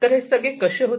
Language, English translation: Marathi, So, how what is done